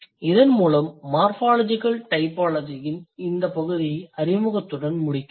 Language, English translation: Tamil, With this, I would end this section of morphological typology with the introduction